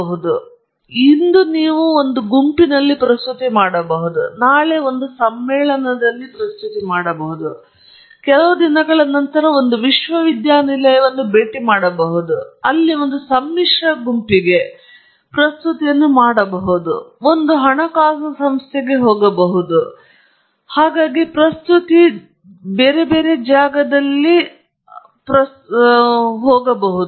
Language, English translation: Kannada, So, today you may make a presentation in your group, tomorrow you may make a presentation in a conference, a few days later you may visit a university and make a presentation to an allied group there, you may go to a funding agency make a presentation and so on